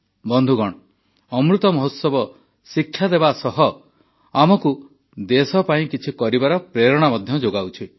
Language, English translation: Odia, Friends, the Amrit Mahotsav, along with learning, also inspires us to do something for the country